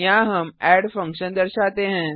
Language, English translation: Hindi, Here we call the add function